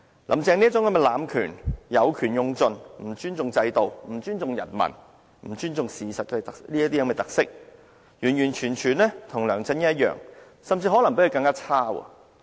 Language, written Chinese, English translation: Cantonese, "林鄭"這種濫權，有權用盡、不尊重制度、不尊重人民、不尊重事實的特色，跟梁振英完全一樣，甚至可能比他更差。, The characteristics of Carrie LAM is virtually the same as LEUNG Chun - ying or even worse . She abuses the power exploits the powers to the fullest extent and shows disrespect to facts